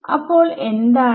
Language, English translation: Malayalam, So, that is